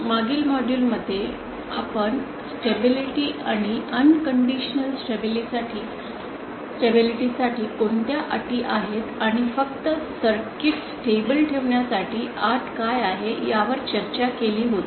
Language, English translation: Marathi, In the previous module, we had discussed about stability and what are the conditions for unconditional stability and what is the condition for just keeping the circuit stable